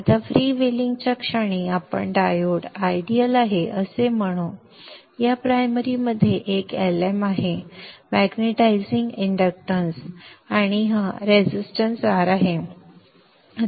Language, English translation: Marathi, Now this, the is freewheeling, let us the diode is ideal, there is a L in the primary, the magnetizing inductance and this resistance R